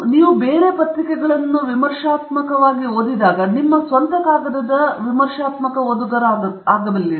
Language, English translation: Kannada, When you become a critical reader of the papers you become a critical reader of your own paper also